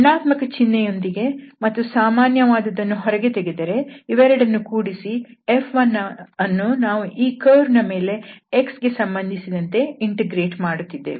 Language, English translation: Kannada, So, with minus sign if we take common that means this plus this so we are integrating over the curve this F 1 with respect to x